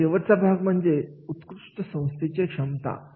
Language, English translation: Marathi, The last part is that is the organizational excellence potential